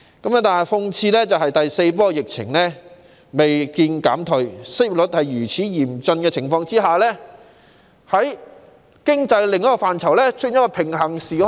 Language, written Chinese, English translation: Cantonese, 然而，諷刺的是，在第四波疫情未見減退，失業率高企的情況下，在經濟另一範疇內卻出現了平行時空。, But ironically while the fourth wave of the epidemic has not shown any alleviation and the unemployment rate has remained high we can nonetheless see a parallel universe in another economic domain